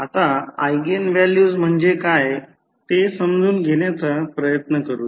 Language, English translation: Marathi, Now, let us try to understand what is eigenvalues